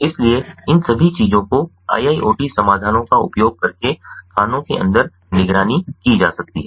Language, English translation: Hindi, so all of these things can be monitored inside the mines using iiot solutions